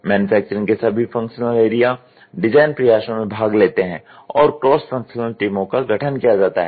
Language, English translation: Hindi, All manufacturing functional areas participating in the design efforts, and cross functional teams must be formed